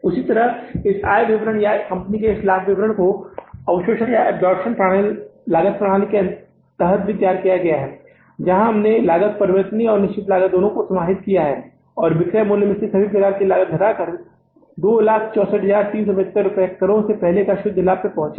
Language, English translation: Hindi, Same way this income statement or the profit statement of this company has been prepared under the absorption costing system where we have taken into consideration both the cost, variable cost and the fixed cost and after subtracting all kind of the cost from the sales value we have arrived at the net profit before taxes 2